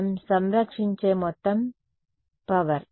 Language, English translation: Telugu, The total power what we conserve